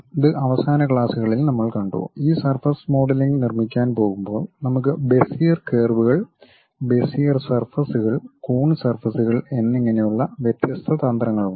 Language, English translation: Malayalam, This in the last classes, we have seen, when we are going to construct this surface modeling we have different strategies like Bezier curves, Bezier surfaces, and coon surfaces and so on